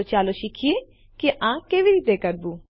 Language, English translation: Gujarati, So lets learn how to do all of this